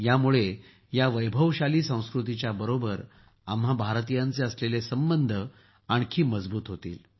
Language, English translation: Marathi, This will further strengthen the connection of us Indians with our glorious culture